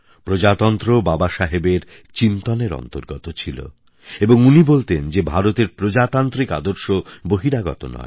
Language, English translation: Bengali, Democracy was embedded deep in Baba Saheb's nature and he used to say that India's democratic values have not been imported from outside